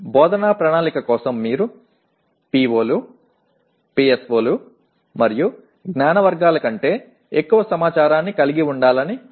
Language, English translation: Telugu, For planning instruction you may want to have more information than that like POs, PSOs, and knowledge categories and so on